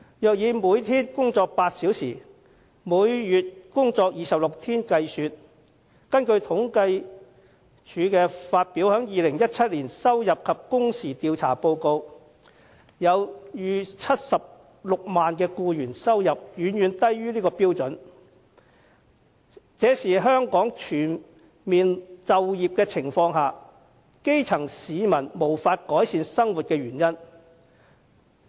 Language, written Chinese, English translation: Cantonese, 如果以每天工作8小時、每月工作26天計算，根據政府統計處發表的2017年收入及工時按年統計調查報告，超過76萬名僱員的收入遠低於這個水平，這也是即使香港全面就業，但基層市民也無法改善生活的原因。, According to the 2017 Report on Annual Earnings and Hours Survey published by the Census and Statistics Department the income of more than 760 000 employees who work eight hours a day and 26 days a month is far lower than the aforesaid living standards . This is also the reason why the grass roots can still not improve their lot even though there is full employment in Hong Kong